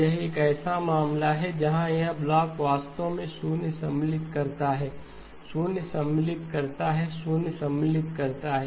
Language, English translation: Hindi, So this is a case where this block actually inserts zeros, insert zeros, insert zero